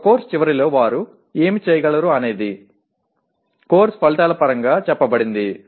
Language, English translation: Telugu, What they should be able to do at the end of a course is stated in terms of course outcomes